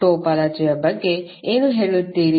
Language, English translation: Kannada, What do you mean by topology